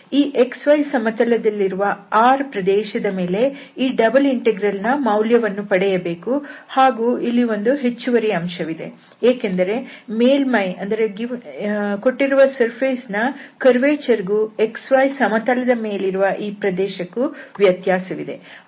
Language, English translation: Kannada, So this double integral will be evaluated on this region R in x y plane and there is an additional factor here because of the difference between this curvature of the surface and this plane area on this x y plane